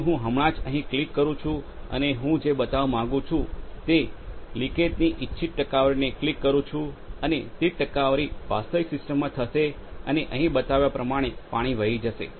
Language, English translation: Gujarati, So, I just click here and I click the desired percentage of leakage that I want to create and the same percentage of opening will be done in the actual system and the water will flow through as it is shown here